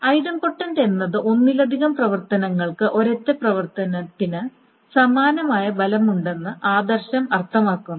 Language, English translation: Malayalam, The idempotent means the following is that the multiple operations has the same effect as a single operation